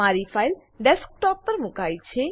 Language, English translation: Gujarati, My file is located on the Desktop